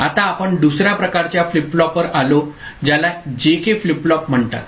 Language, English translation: Marathi, Now, we come to another type of flip flop which is called JK flip flop